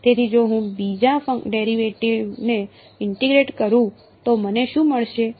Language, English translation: Gujarati, So, if I integrate the second derivative what do I get